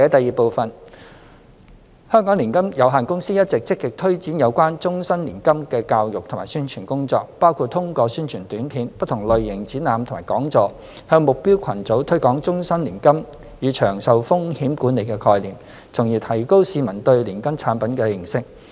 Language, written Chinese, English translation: Cantonese, 二香港年金有限公司一直積極推展有關終身年金的教育及宣傳工作，包括通過宣傳短片、不同類型展覽及講座，向目標群組推廣終身年金與長壽風險管理的概念，從而提高市民對年金產品的認識。, 2 With a view to raising public awareness of annuity products the HKMC Annuity Limited HKMCA has been actively stepping up its education and publicity efforts in relation to life annuity such as promoting the concept of life annuity and longevity risk management to the target segments through different channels including promotional videos roving exhibitions and public seminars